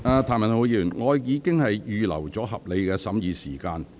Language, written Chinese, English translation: Cantonese, 譚文豪議員，我已經預留合理的審議時間。, Mr Jeremy TAM I already set aside a reasonable amount of time for the consideration of the Bill